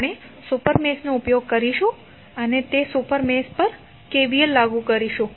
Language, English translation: Gujarati, We will use the super mesh and apply KVL to that super mesh